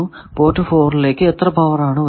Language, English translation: Malayalam, How much is coming out of port 4